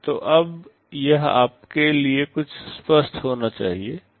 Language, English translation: Hindi, So, now it must be somewhat clear to you